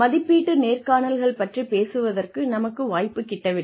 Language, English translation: Tamil, We did not get a chance, to talk about, appraisal interviews